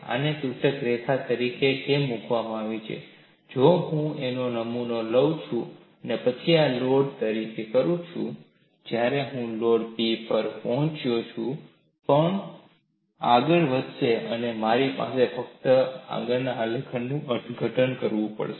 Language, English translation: Gujarati, And that is why this is put as dotted line, why this is put as dotted line is, if I take a specimen and then have this load as P, the moment I reach the load P, the crack would advance and I have to interrupt only from the next graph